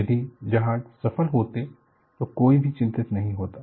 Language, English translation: Hindi, If the ships were successful, no one would have worried